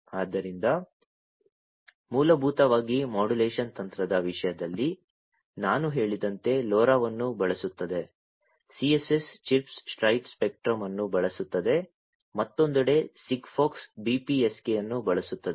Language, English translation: Kannada, So, basically in terms of modulation technique that is used LoRa as I said uses CSS chirp spread spectrum on the other hand SIGFOX uses BPSK